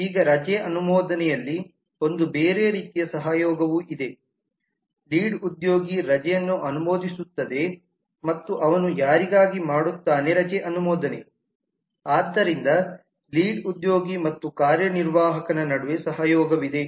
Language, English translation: Kannada, now there is a different kind of collaboration in the approve leave is the lead approve leave and for whom does he approve the leave is the executive so there is a collaboration between the lead and the executive